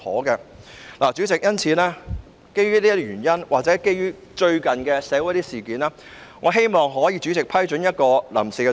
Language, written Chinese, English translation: Cantonese, 因此，主席，基於上述原因或近期一些社會事件，我希望主席可以批准一項臨時議案。, Hence President in view of the above reasons and some recent social incidents I would like to seek the Presidents permission for me to move a motion without notice